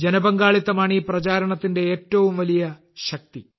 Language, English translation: Malayalam, This public participation is the biggest strength of this campaign